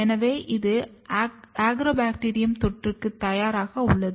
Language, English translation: Tamil, So, that it is ready for Agrobacterium infection